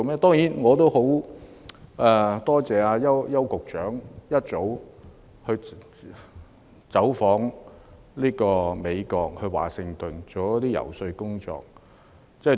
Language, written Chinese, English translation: Cantonese, 當然，我也很感謝邱局長早已走訪美國華盛頓進行遊說工作。, Of course I am also very grateful to Secretary Edward YAU for visiting Washington in the United States to do some lobbying